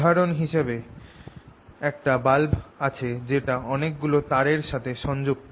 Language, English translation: Bengali, for example, here you see this bulb which is connected to a lot of wires going around